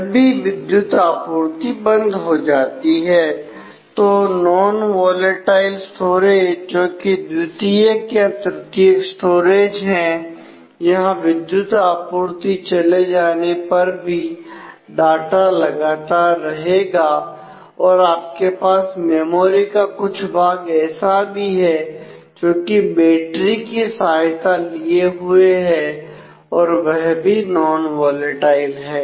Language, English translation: Hindi, When the power is switched off and the non volatile storage which are secondary and tertiary storage where the data will continue to stay even when power is off even you have some parts of the memory which may be battery backup which also will be non volatile